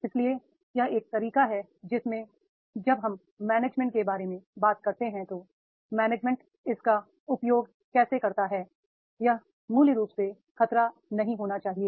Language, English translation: Hindi, So, it is the method where when we talk about the many, the help, how the management uses it, it should not be a threat basically